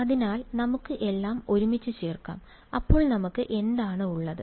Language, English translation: Malayalam, So, let us just put it all together, what do we have then